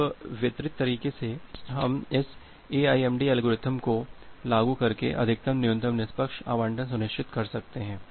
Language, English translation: Hindi, Now, in a distributed way we can we can ensure max min fair allocation by applying this AIMD algorithm